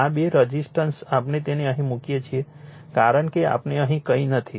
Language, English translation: Gujarati, These two resistance we put it here, right as we as we nothing is here